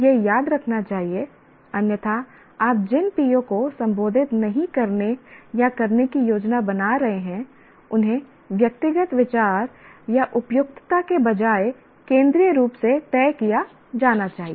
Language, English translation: Hindi, Otherwise, which POs you are planning to address, not address should be decided centrally rather than individual views or conveniences